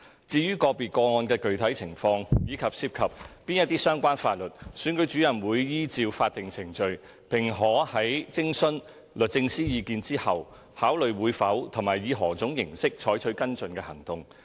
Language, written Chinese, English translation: Cantonese, 至於個別個案的具體情況，以及涉及哪些相關法律，選舉主任會依照法定程序，並可在徵詢律政司意見後，考慮會否和以何種方式採取跟進行動。, As for the specific circumstances of individual cases and what relevant laws are involved the Returning Officers will follow the legal procedures and may after seeking the advice of DoJ consider whether any and what form of follow - up action will be taken